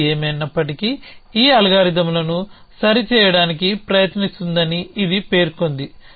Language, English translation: Telugu, It terms out that whatever however tries to right this algorithms